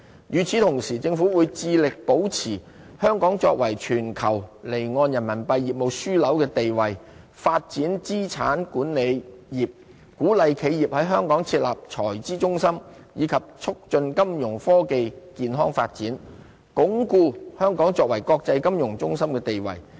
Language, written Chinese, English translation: Cantonese, 與此同時，政府會致力保持香港作為全球離岸人民幣業務樞紐的地位、發展資產管理業、鼓勵企業於香港設立財資中心，以及促進金融科技健康發展，鞏固香港作為國際金融中心的地位。, Moreover the Government will strive to safeguard Hong Kongs status as a global offshore Renminbi RMB business hub develop the asset management sector encourage enterprises to set up treasury centres in Hong Kong and promote healthy development of financial technology so as to consolidate Hong Kongs status as an international financial centre